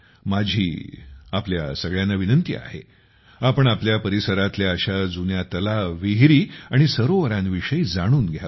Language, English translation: Marathi, I urge all of you to know about such old ponds, wells and lakes in your area